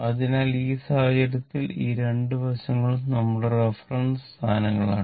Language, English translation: Malayalam, So, in this case, so this side and that side, this is your our reference position